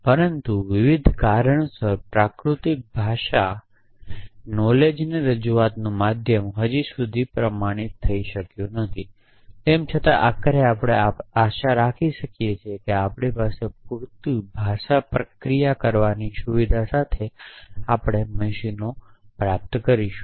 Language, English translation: Gujarati, But for various reasons natural language is not attest yet a medium of knowledge representation though even eventually we hope that we will acquire our machines with enough language processing facility